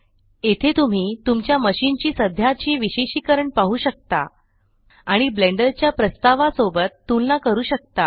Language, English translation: Marathi, So here you can see the current specifications of your machine and compare it against what the Blender Foundation suggests